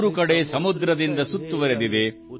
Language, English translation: Kannada, Surrounded by seas on three sides,